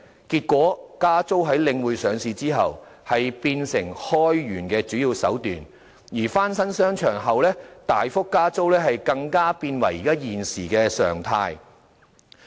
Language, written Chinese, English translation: Cantonese, 結果是在領匯上市後，加租變成開源的主要手段，而翻新商場後大幅加租更成了現時的常態。, The result was after The Link REIT was listed rental increases have become the main means to raise revenues and substantial rental increases after renovation of shopping arcades have even become the norm